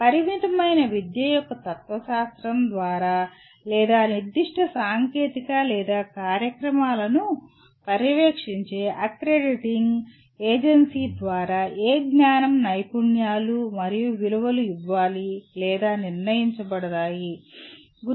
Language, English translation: Telugu, What knowledge, skills and values to be imparted or decided by or determined by the particular school of philosophy of education limited or by the accrediting agency which is overseeing the particular technical or the programs